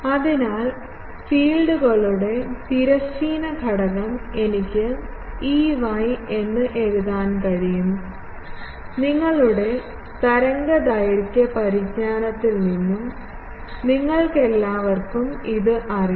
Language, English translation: Malayalam, So, I can write the transverse component of the fields as Ey, all of you know this from your waveguide knowledge